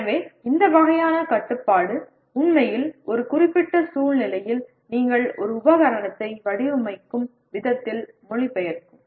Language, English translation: Tamil, So this kind of constraint will actually translate into the way you would design a piece of equipment in a given situation